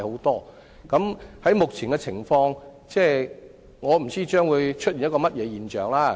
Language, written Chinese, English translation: Cantonese, 從目前的情況來看，我不知道將會出現甚麼現象？, Judging from the existing situation I have no idea what phenomena will come forth in the future